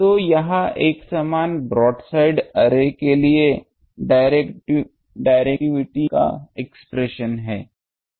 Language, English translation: Hindi, So, this is the expression of the directivity for an uniform broadside array